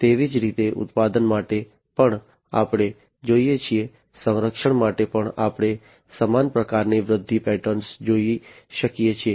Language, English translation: Gujarati, And likewise for manufacturing also we see, defense also we can see a similar kind of growth pattern and so on